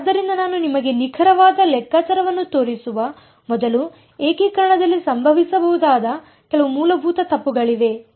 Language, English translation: Kannada, So, before I show you the exact calculation there is some very basic mistakes that can happen in integration